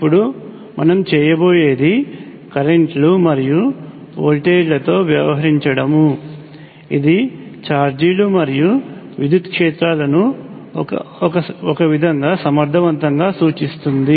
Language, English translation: Telugu, Now what we will do is deal with currents and voltages which effectively represent charges and electric fields in some way